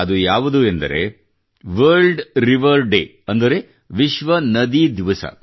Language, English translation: Kannada, That is World Rivers Day